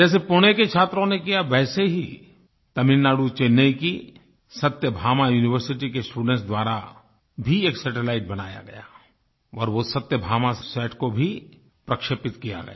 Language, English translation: Hindi, On similar lines as achieved by these Pune students, the students of Satyabhama University of Chennai in Tamil Nadu also created their satellite; and their SathyabamaSAT has also been launched